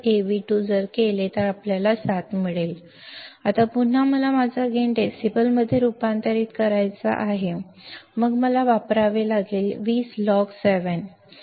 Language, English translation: Marathi, Now, again I want to convert my gain in decibels then I have to use 20 log 7 that will give me value of 16